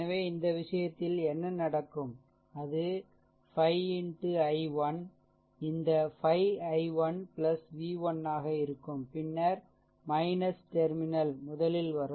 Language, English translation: Tamil, So, in this case, what will happen it will be 5 into i 1 this 5 into i 1 plus your v 1, then encountering minus terminal first